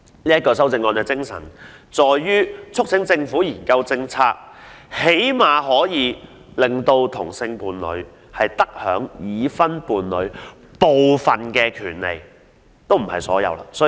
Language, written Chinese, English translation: Cantonese, 我的修正案的精神在於促請政府研究政策，最低限度讓同性伴侶得享已婚伴侶部分而非所有權利。, The purpose of my amendment is to urge the Government to review its policies so that same - sex couples can at least enjoy some if not all of the rights enjoyed by married couples